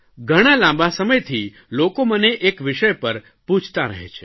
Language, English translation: Gujarati, Since a long time people have been asking me questions on one topic